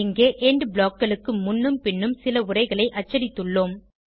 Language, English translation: Tamil, Here we have printed some text before and after END blocks